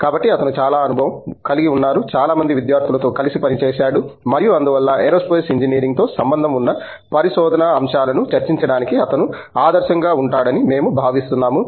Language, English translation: Telugu, So, he has a lot of you know experience, worked with a lot of students and so we feel he is ideally suited to discuss research aspects associated with Aerospace Engineering